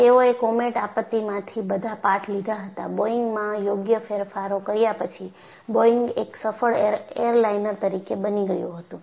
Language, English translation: Gujarati, So, they took all the lessons from the Comet disaster; made suitable modifications in the Boeing; then Boeingbecome a successful airliner